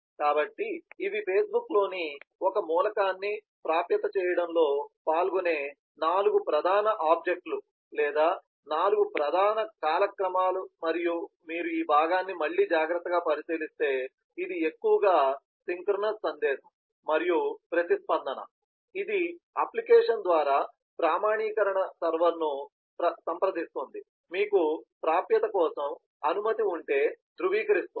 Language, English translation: Telugu, so these are the four major objects or four major timelines that participate in accessing an element in the facebook and if you again look carefully at this part, this is mostly synchronised message and response, which consults the authentication server through the application to validate if you have permission for access